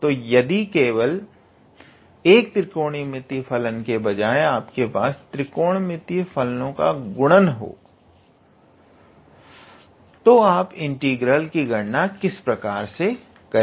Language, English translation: Hindi, So, instead of having just one trigonometrical function, you can have the product of trigonometrical functions, and then how you deal with calculating their integral